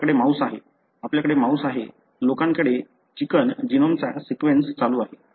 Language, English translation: Marathi, You have mouse, we have rat; people have sequence of the chicken genome is going on